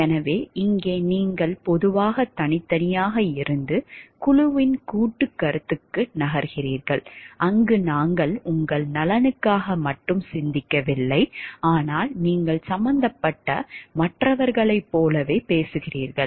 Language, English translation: Tamil, So, here you are generally from individually and moving to a collective concept of team where we are thinking not for only the welfare of yourself, but you talking of the like other people involved also